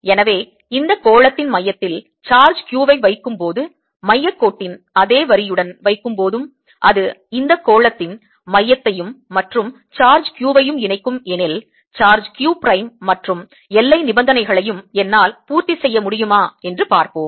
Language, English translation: Tamil, so let us try and see if i put a charge inside along the same line as the centre line which joins these centre of this sphere and the charge q, a charge q prime, and see if i can satisfy both the boundary conditions